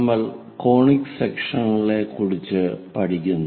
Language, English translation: Malayalam, We are learning about Conic Sections